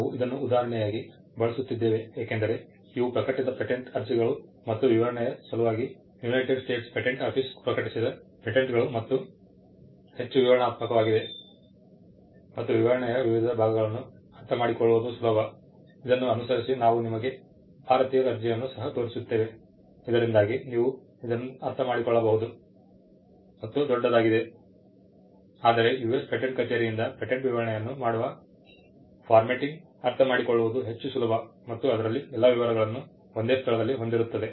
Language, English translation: Kannada, We are using this as an example because these are the published patent applications and for the sake of illustration, the patents published by the United States patent office are much more descriptive and it is easier to understand the various parts of the specification, following this we will also be showing you an Indian application so that you can understand it is by and large the same, but the formatting in which the patent specification is done by the US patent office is much more easier to understand and it has all the details in one place